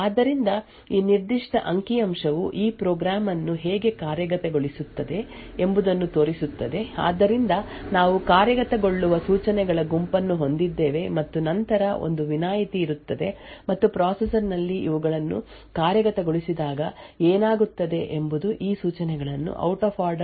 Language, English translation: Kannada, So this particular figure shows how this program executes so we have a set of instructions that gets executed and then there is an exception and what happens when these actually gets executed in the processor is that many of these instructions will actually be executed speculatively and out of order